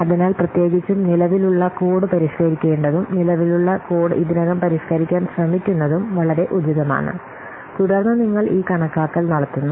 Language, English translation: Malayalam, So, particularly it is very much appropriate where existing code is to be modified and existing code is already there and you are trying to modify